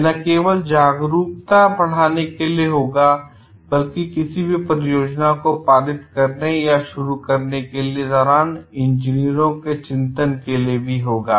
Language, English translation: Hindi, It would not only be not only to increase the awareness, but also to make engineers more concerned while passing or undertaking any projects